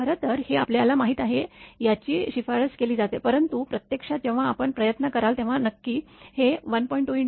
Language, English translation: Marathi, Actually this is very you know this is recommended, but in reality when you will try it may not be exactly this 1